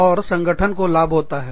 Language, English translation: Hindi, And, the organization, benefits